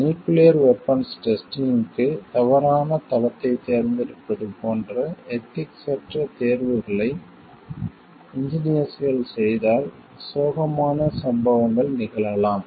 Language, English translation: Tamil, Tragic incidents can occur if unethical choices are made by engineers, like selecting a wrong site for testing of the nuclear weapons